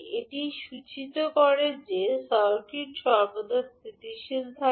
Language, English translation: Bengali, This implies that the circuit is always stable